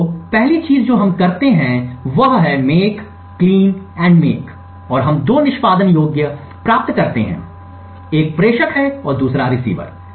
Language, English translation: Hindi, So, the 1st thing we do is do a make clean and make and we obtain 2 executables one is a sender and the 2nd is the receiver